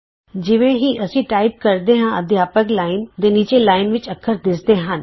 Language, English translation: Punjabi, As we type, the characters are displayed in the line below the Teachers line